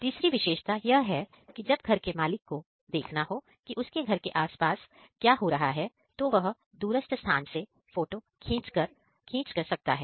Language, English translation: Hindi, And the third feature is if the owner wants to see what is going on near nearby his house, he can click an image from a remote place